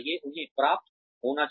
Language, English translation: Hindi, They should be rewarding